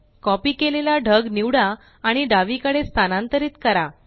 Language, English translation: Marathi, Now, select the copied cloud and move it to the left